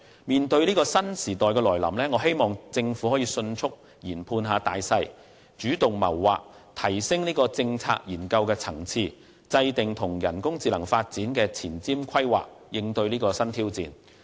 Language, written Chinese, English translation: Cantonese, 面對這個新時代的來臨，我希望政府能夠迅速研判形勢，主動謀劃，提升政策研究的層次，並制訂人工智能發展的前瞻規劃，以應對新挑戰。, At the dawn of this new era I hope the Government will swiftly analyse the situation formulate proactive plans bring policy research to a higher level and formulate forward - looking plans for the development of AI to meet new challenges